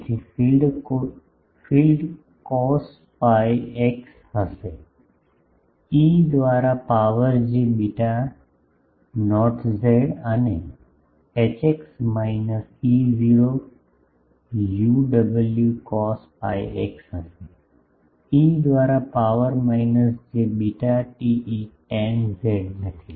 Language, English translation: Gujarati, So, field will be cos pi x by a e to the power j beta not z and Hx is minus E not Y w cos pi x by a e to the power minus j beta not z not beta not sorry, sorry, sorry